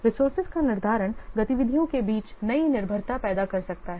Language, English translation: Hindi, Scheduling the resources can create new dependencies between the activities